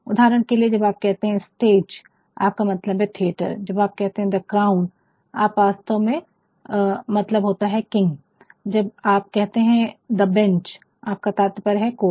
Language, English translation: Hindi, For example, when you say stage you actually are meaning theatre, when you say the crown you are actually meaning the king, when you say the bench you are meaning the coat